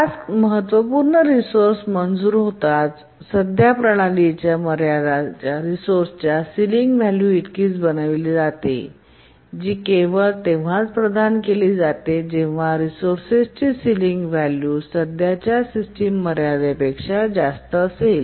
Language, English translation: Marathi, And as I was saying that as soon as a task is granted the critical resource, the current system sealing is made equal to the sealing of the resource that is granted if the sealing of the resource is greater than the current system ceiling